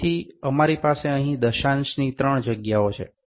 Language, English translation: Gujarati, So, we have three places of decimal here